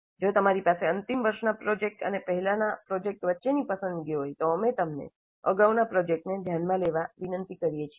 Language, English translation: Gujarati, And if you have a choice between final year project and earlier project, we request you to consider earlier project